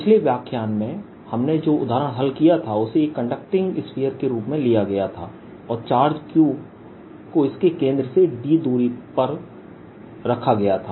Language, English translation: Hindi, the example we solve in the previous lecture was: taken a conducting sphere and put charge q at a distance d from it centre